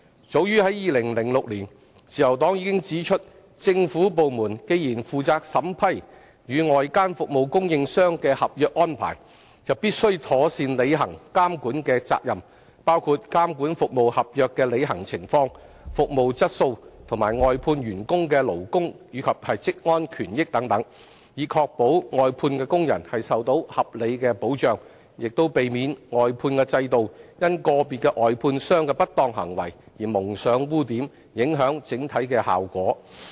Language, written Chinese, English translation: Cantonese, 早於2006年，自由黨已指出政府部門既然負責審批與外間服務供應商的合約安排，就必須妥善履行監管的責任，包括監管服務合約的履行情況、服務質素和外判員工的勞工及職安權益等，以確保外判工人受到合理保障，亦避免外判制度因個別外判商的不當行為而蒙上污點，影響整體的效果。, As early as in 2006 the Liberal Party already pointed out that since government departments were responsible for vetting and approving the contractual arrangements with external service providers they were obliged to discharge their regulatory responsibilities properly including monitoring the implementation of service contracts service quality labour rights and interests and occupational safety of outsourced workers so as to ensure reasonable protection for outsourced workers and prevent the outsourcing system from being tarnished by the malpractices of individual outsourced contractors for otherwise the overall effect would be undermined